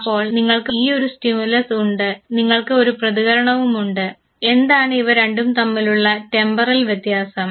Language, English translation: Malayalam, So, you have this stimulus and you have the response, what is the temporal difference between the two